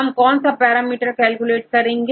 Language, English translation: Hindi, Which parameter you have to calculate